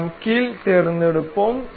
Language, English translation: Tamil, We will select hinge